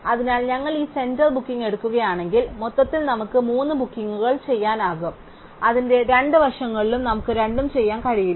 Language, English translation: Malayalam, So, if we take this center booking we can do at most three bookings overall, we cannot do the two in either side of it